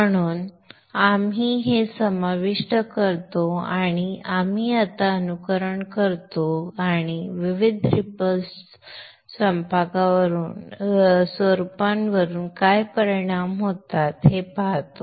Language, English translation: Marathi, So you include this and now you simulate and see what are the effects on the various waveforms